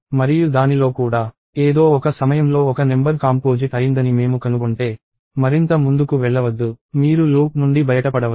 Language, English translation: Telugu, And even in that, at some point if we find out that a number is composite do not go any further, you can break out of the loop